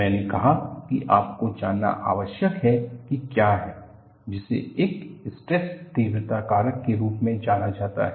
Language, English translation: Hindi, I said that you need to have, what is known as a stress intensity factor